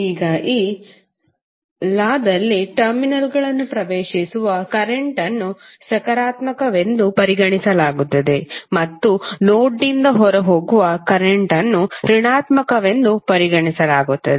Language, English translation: Kannada, Now this, in this law current entering the terminals are regarded as positive and the current which are leaving the node are considered to be negative